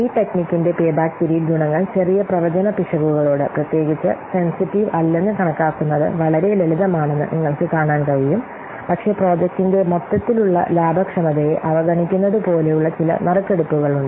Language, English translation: Malayalam, So you can see that the advantages of this technique payback payback is that that it is simple to calculate, no, not particularly sensitive to small forecasting errors, but it has some drawbacks like it ignores the overall profitability of the project